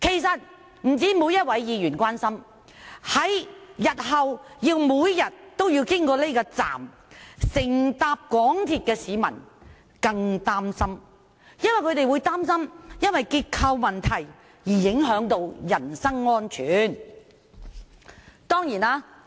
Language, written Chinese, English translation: Cantonese, 不單每位議員關心，日後每天經此車站乘搭港鐵的市民更擔心，會因為結構問題而影響到人身安全。, Every Member of the Legislative Council is concerned about the problems . In future when members of the public have to go to Hung Hom station every day to take MTR trains they are even more worried because the structural problems may affect their personal safety